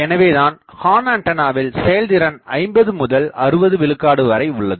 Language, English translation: Tamil, So, that is why efficiency of horns are typically 50 to 60 percent